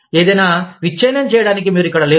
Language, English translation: Telugu, You are not there, to break anything